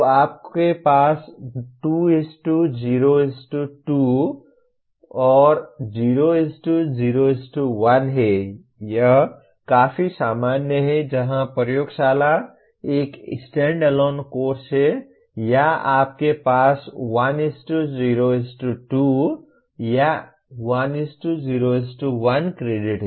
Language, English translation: Hindi, So you have 2:0:2, 0:0:1; that is quite common where laboratory is a standalone course or you have 1:0:2 or even 1:0:1 credits